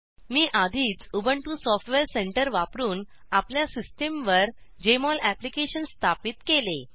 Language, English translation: Marathi, I have already installed Jmol Application on my system using Ubuntu Software Center